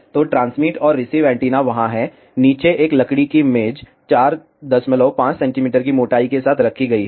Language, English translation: Hindi, So, transmit and receive antennas are there, below that a wooden table is kept with the thickness of 4